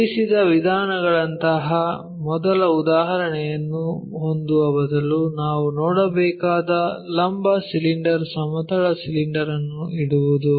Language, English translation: Kannada, Instead of having the first example like resting means, vertical cylinder what we willsee isa lay down horizontal cylinder